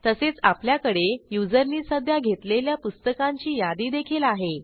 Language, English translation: Marathi, We also have the list of books currently borrowed by the user